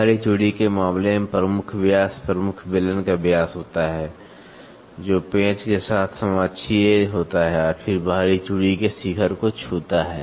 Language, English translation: Hindi, Major diameter in case of external thread, the major diameter is a diameter of the major cylinder, which is coaxial with the screw and touches the crests of an external thread